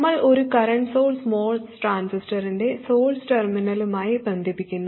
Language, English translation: Malayalam, We connect a current source to the source terminal of the Moss transistor